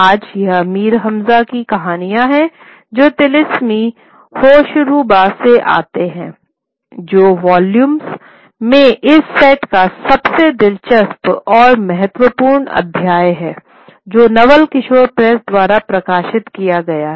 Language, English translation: Hindi, Today it is the stories of Amir Hamza which come from the Thilisme Hoshruba which is the most interesting most important chapter of this set of volumes which are published by the Noval Kishore praise